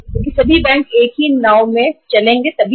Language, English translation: Hindi, If all the banks are sailing in the same boat then it is fine